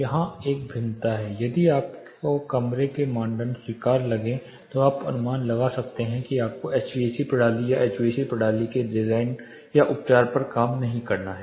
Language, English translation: Hindi, There is a starking difference here, if you find the room criteria to be acceptable you can infer that you do not have to really rework on the HVAC system or the design are treating the HVAC system itself